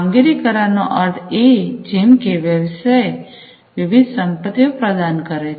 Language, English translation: Gujarati, Performance contracts means like the business is offering different assets